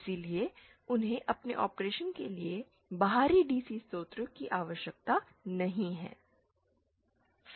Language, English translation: Hindi, So they do not need an external DC source for their operation